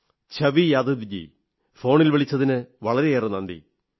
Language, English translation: Malayalam, Chhavi Yadav ji, thank you very much for your phone call